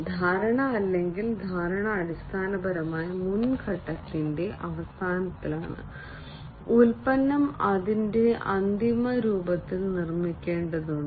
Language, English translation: Malayalam, Perceiveness or perception is basically at the end of the previous phase, the product has to be built in its final form